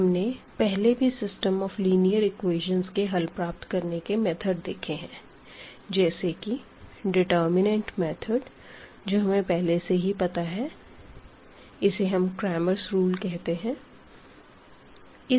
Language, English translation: Hindi, So, the system of linear equations, the solution methods we have basically the other methods to like the method of determinants you must be familiar with or we call this Cramer’s rule